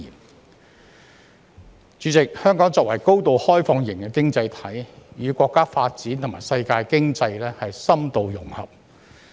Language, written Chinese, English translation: Cantonese, 代理主席，香港作為高度開放型經濟體，與國家發展和世界經濟深度融合。, Deputy President Hong Kong is a highly open economy deeply integrated into the countrys development and the world economy